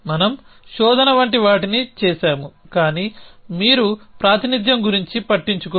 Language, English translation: Telugu, So, for we did things like search, but you do not bother about representation